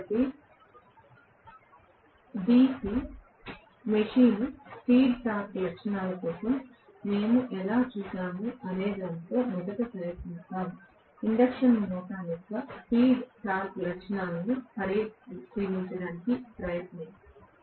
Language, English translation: Telugu, So, let us try to first of all just like how we saw for the DC machine speed torque characteristics, let us try to take a look at the speed torque characteristics of the induction motor